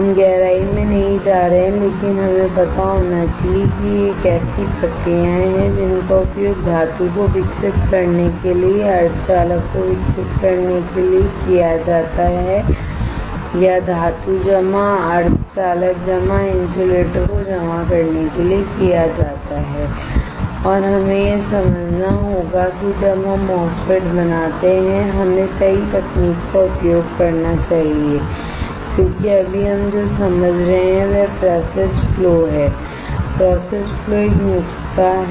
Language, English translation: Hindi, We are not going into depth, but we should know that these are the processes that are used to grow the grow the metal to grow the semiconductor to or deposit the metal deposit semiconductor deposit insulator and we have to understand that when we fabricate a MOSFET which technique we should use it right because what we are right now understanding is the process flow the process flow is a recipe